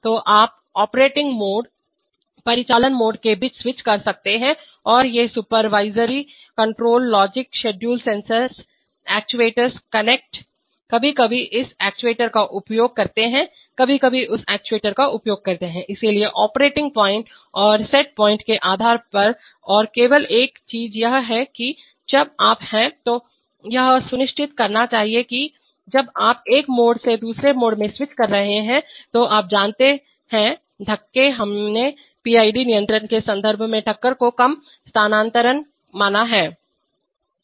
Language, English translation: Hindi, So, you can switch among operational modes and these supervisory control logic schedules sensors, actuators, connects, sometimes use this actuator, sometimes use that actuator, so based on operating points and set points and only one thing is that, when you are, you must ensure that when you are switching from one mode to another too much, you know, bumps, we have considered bump less transfers in the context of PID control